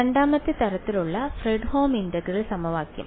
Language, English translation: Malayalam, Fredholm integral equation of the second kind